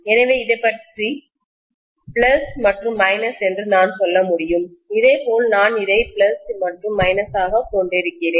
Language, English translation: Tamil, So I can say about this as plus and minus, similarly I am going to have probably this as plus and minus, please note that they are additive, right